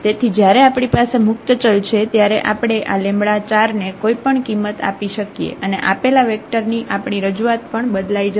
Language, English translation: Gujarati, So, when we have a free variable we can assign any value we want to this lambda 4 and then our representation of this given vector will also change